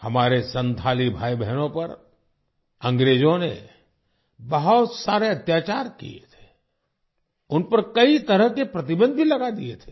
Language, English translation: Hindi, The British had committed many atrocities on our Santhal brothers and sisters, and had also imposed many types of restrictions on them